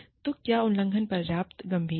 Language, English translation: Hindi, So, is the violation, serious enough